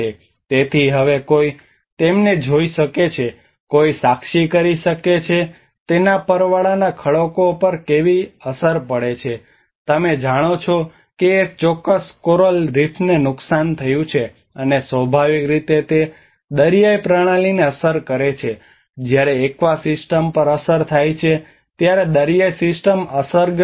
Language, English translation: Gujarati, So now one can see them, one can witness how it has an impact on the coral reefs you know one certain coral reef has been damaged and obviously it affects the marine system, the marine system is affected when aqua system is affected